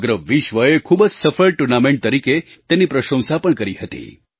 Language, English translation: Gujarati, The whole world acclaimed this as a very successful tournament